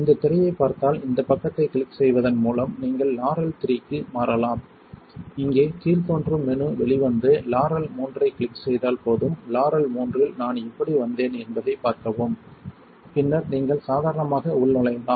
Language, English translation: Tamil, If you see this screen you can simply switch to Laurell 3 by clicking this side here the dropdown menu comes out and just click Laurell three and it will switch over see how I am back in Laurell 3 and then you can log in as normal